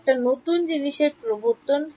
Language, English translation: Bengali, We introduce new components